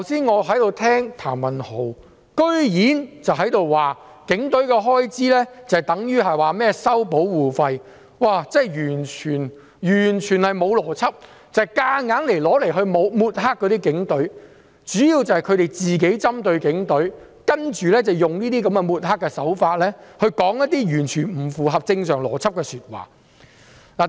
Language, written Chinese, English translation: Cantonese, 我剛才聽譚文豪議員的發言，竟然說警隊的開支等於收保護費——這是完全沒有邏輯，只是強行抹黑警隊，他們主要是針對警隊，然後用抹黑的手法說一些完全不合正常邏輯的說話。, Just now I heard Mr Jeremy TAM say that the expenditure of the Police is equivalent to charging protection fees . It is completely illogical and a blatant smearing of the Police . They target the Police and make completely illogical statements by using smearing tactics